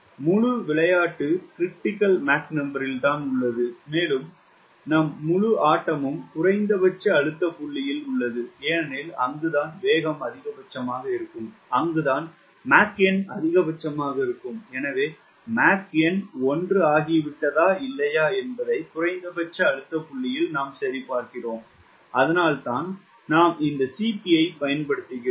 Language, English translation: Tamil, the whole game is on critical mach number and our whole game is on minimum pressure point because that is where the velocity will be maximum, that is where the mach number will maximum to will check at minimum pressure point whether mark has become one or not